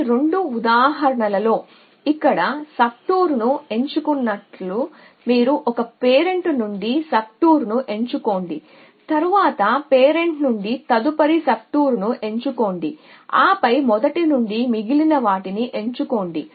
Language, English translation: Telugu, So, thus as be selected subtour to here in both these example you can say choose a subtour from 1 parent then choose a next subtour from the next parent an then choose remaining from the first and so on